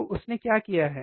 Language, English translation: Hindi, So, what he has done